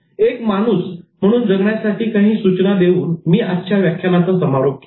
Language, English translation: Marathi, I ended the lecture with giving some suggestions for becoming human